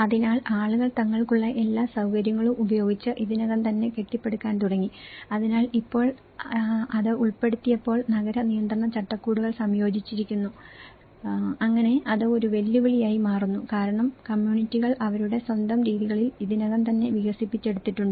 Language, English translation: Malayalam, So, people started already building up with whatever the facilities they have, so now, when it has been included then the urban regulatory frameworks have been incorporated, so that becomes a challenge because communities have already developed in their own ways of patterns of the normally developed